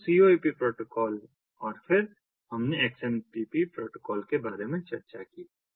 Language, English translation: Hindi, so core protocol, and then we have discussed about the xmpp protocol